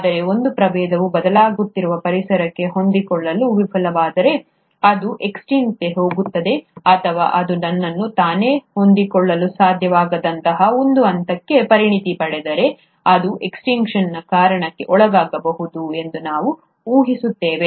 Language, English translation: Kannada, But, we speculate that if a species fails to adapt itself to a changing environment, it's going to become extinct, or if it specializes to such a point that it cannot re adapt itself, then also it can undergo a cause of extinction